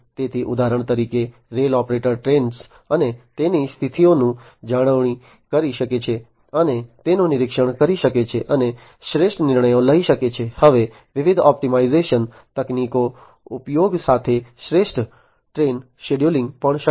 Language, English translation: Gujarati, So, therefore, for example, the rail operator can maintain, and monitor the trains and their conditions, and make optimal decisions, it is also now possible to have optimal train scheduling with the use of different optimization techniques